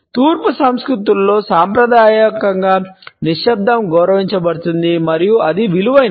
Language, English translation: Telugu, Conventionally silence is respected in Eastern cultures and it is valued